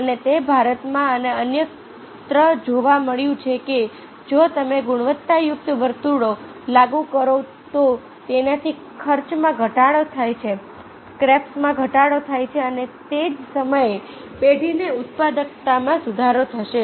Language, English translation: Gujarati, and it have been found, india and elsewhere, that if you implement quality circles, it has reduce the cost, scraps are decreased and at the same time the productivities of the firm is improved